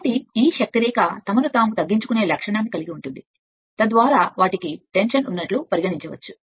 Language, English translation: Telugu, So, this line of force have the property of tending to shorten themselves a shorten themselves right, so that they may be regarded as being in tension